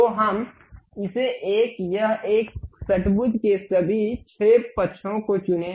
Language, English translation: Hindi, So, let us pick this one, this one, all the 6 sides of hexagon